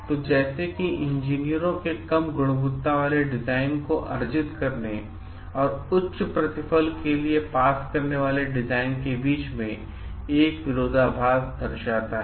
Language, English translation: Hindi, So, like if it leads to a friction between engineers design to earn and pass design that carry low quality, but higher returns